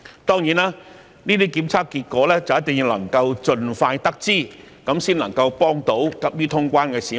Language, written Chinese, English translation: Cantonese, 當然，這些檢測結果一定要盡快得知，才能夠幫助急於過關的市民。, Of course the test results must be obtained as soon as possible in order to facilitate people who are anxious to cross the border